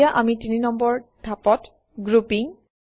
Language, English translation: Assamese, We are in Step 3 Grouping